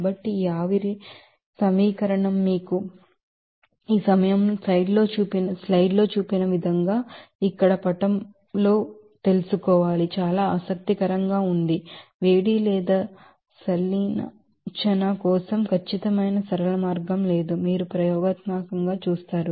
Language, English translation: Telugu, So, this vaporization can be you know represented by this you know figure here as shown in the slide in this case very interesting that no accurate simple way to estimate heat or fusion, you will see experimentally